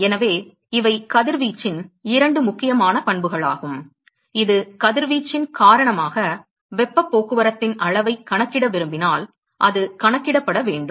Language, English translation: Tamil, So, these are two important properties of radiation which it needs to be a accounted for if you want to quantify amount of heat transport because of radiation